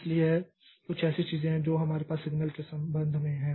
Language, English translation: Hindi, So, these are the certain things that we have with respect to signals